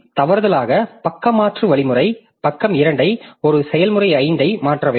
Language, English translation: Tamil, So, by mistake the page replacement algorithm has selected page 2 of process 5 to be replaced